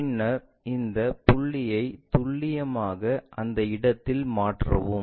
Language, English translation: Tamil, Then, transfer this a point precisely to that location